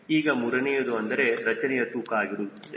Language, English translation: Kannada, a third third is your structural weight